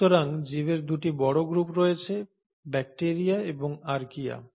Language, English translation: Bengali, So it has 2 major groups of organisms, the bacteria and the Archaea